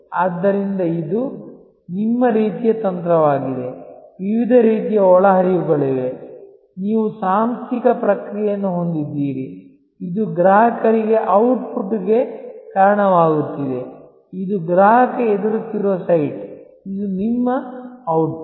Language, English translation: Kannada, So, this is your kind of your strategy, there are various kinds of inputs, you have the organizational process, which is leading to the output to the customers, this is the customer facing site, this is your output